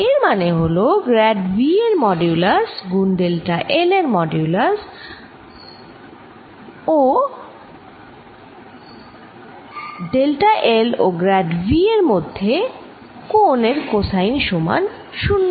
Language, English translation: Bengali, this is nothing but equal to modulus of grad of v, modulus of l, cosine of angel between delta l and grad of v, and this is zero, always zero